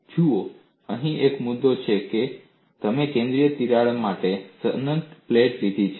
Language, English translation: Gujarati, See, one of the issues here is, you have taken an infinite plate with a central crack